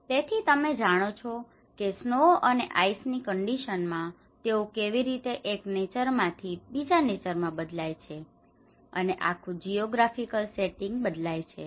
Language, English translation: Gujarati, So, you know from the snow time, snow and ice conditions, how they transform from one nature to the another nature and the whole geographical setting